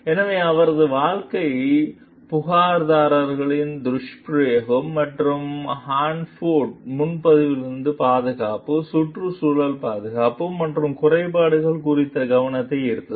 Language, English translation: Tamil, So, her case brought for attention to the abuse of complainants as well as to the safety, environmental, security and lapses at the Hanford reservation